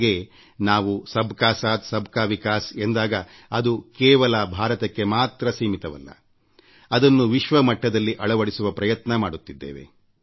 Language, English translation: Kannada, And when we say Sabka Saath, Sabka Vikas, it is not limited to the confines of India